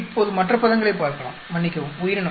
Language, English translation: Tamil, Now let us at the other terms, sorry organism